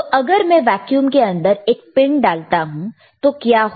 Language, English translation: Hindi, So, if I put a pin inside the vacuum, what will happen